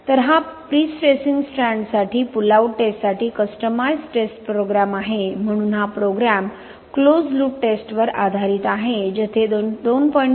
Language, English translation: Marathi, So this is the test program customised for pull out test for prestressing strands, so where this program is based on closed loop testing where load will be applied at the rate of 2